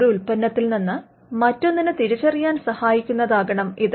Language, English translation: Malayalam, It should be distinguishable it should be capable of distinguishing one product from another